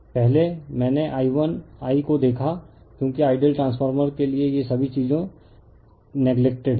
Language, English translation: Hindi, Earlier I saw I 1 I one because for ideal transfer all these things are neglected